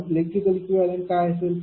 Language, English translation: Marathi, Then what is the electrical equivalent